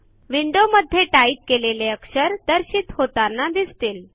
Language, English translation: Marathi, A window that displays the characters to type appears